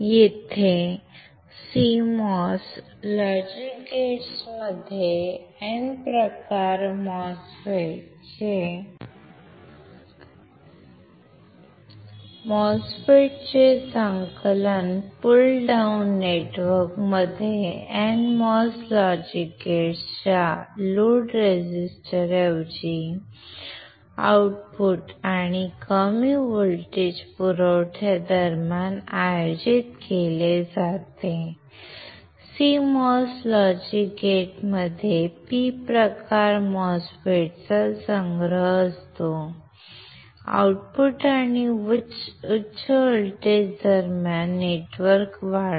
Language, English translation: Marathi, Here in CMOS logic gates a collection of N type MOSFETs is arranged in a pull down network, between output and the low voltage supply right instead of load resistor of NMOS logic gates, CMOS logic gates have a collection of P type MOSFETs in a pull up network between output and higher voltage